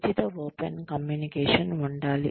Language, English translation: Telugu, There should be free open communication